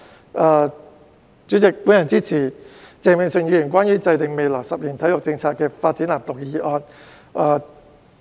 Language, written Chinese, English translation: Cantonese, 代理主席，我支持鄭泳舜議員關於"制訂未來十年體育政策及發展藍圖"的議案。, Deputy President I support Mr Vincent CHENGs motion on Formulating sports policy and development blueprint over the coming decade